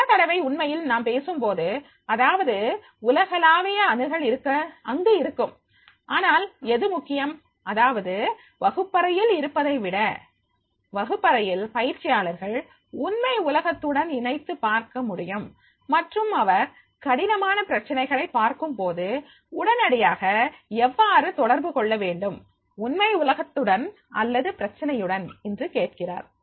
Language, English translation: Tamil, Many times then actually we talk about it is a global access is there but the what is important is that is the when it is in the classroom, in the classroom the trainee, he is able to relate it to with his real world and if you find the difficulty a problem he immediately ask that is how I can get connected with this real world problem